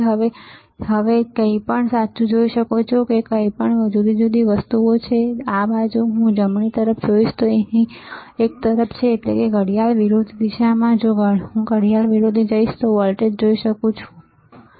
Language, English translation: Gujarati, Now, off you can now see anything correct, now what are the different things here one is towards here if I go towards this side right; that is, towards the in the in the anti clock direction, if I go anti clock then I can see voltage, right